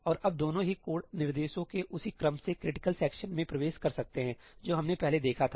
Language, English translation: Hindi, And now both of them can enter the critical section by the same sequence of code instructions that we saw earlier